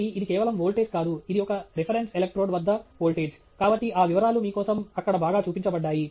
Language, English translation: Telugu, So, it’s not simply voltage, it’s voltage versus some reference electrode; so, that detail is also highlighted there for you